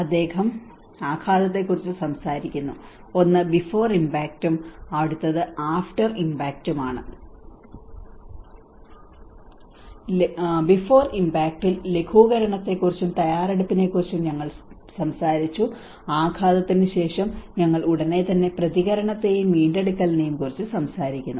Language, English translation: Malayalam, He talks about the impact, and one is the before impact and the after impact, and in the before, we talked about the mitigation and the preparation, and after the impact, we immediately talk about the response and the recovery